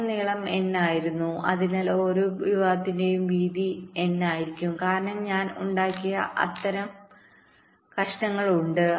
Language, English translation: Malayalam, so so width of each segment will be n divide by m, because there are m such pieces i have made